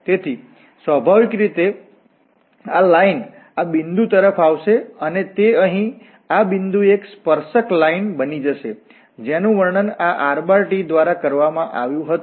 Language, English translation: Gujarati, So, naturally this line will approach to this point and it will become a tangent at this point here, which was described by this rt